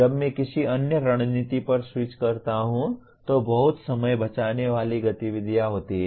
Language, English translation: Hindi, When do I switch over to another strategy is a very very time saving activity